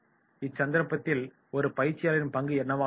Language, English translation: Tamil, What will be the role of a trainer